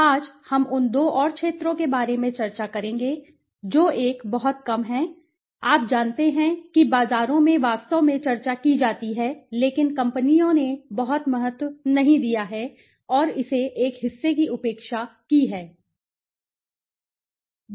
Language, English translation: Hindi, Today, we will discuss about the two more the areas one is which is very less you know discussed in markets in fact it is discussed but companies have not put in much of importance and it has been neglected a part